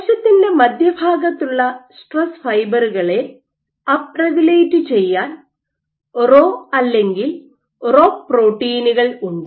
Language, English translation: Malayalam, But you have up regulation of Rho or ROCK such that there is stress fibers which are built up in the center of the cell